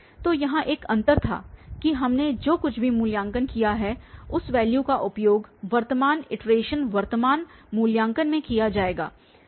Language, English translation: Hindi, So, here there was a difference that whatever we have evaluated that value will be used in in the current iteration current evaluation